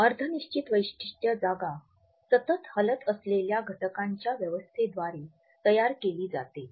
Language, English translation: Marathi, The semi fixed feature space is created by an arrangement of those elements which are mobile